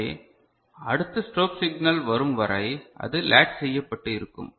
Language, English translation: Tamil, So, it will remain latched till the next strobe signal comes ok